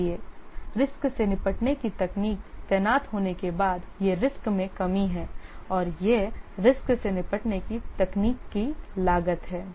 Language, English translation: Hindi, So this is the reduction in exposure after the risk handling technique is deployed and this is the cost of the risk handling technique